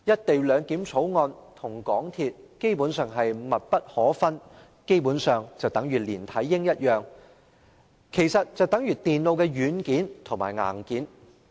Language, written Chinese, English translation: Cantonese, 《條例草案》與港鐵公司基本上是密不可分的"連體嬰"，亦猶如電腦的軟件和硬件。, The Bill and MTRCL are basically inseparable conjoined twins and they are like the software and hardware of a computer